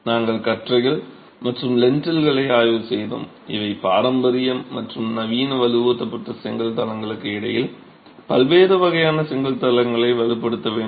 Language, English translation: Tamil, We then examined beans and lintels and these have to be reinforced and then different types of brick floors between traditional and modern reinforced brick floors